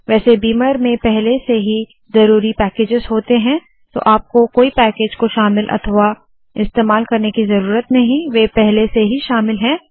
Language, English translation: Hindi, By the way, beamer already comes with necessary packages so u dont have to include any package, use any package, it is already included